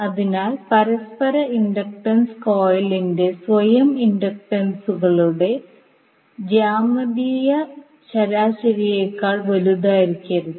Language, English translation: Malayalam, So that means the mutual inductance cannot be greater than the geometric mean of the self inductances of the coil